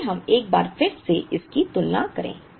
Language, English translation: Hindi, Let us go back and make this comparison once again